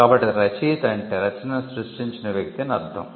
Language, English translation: Telugu, So, author by author we mean the person who creates the work